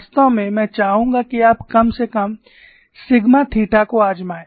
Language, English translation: Hindi, In fact, I would like you to try out at least sigma theta theta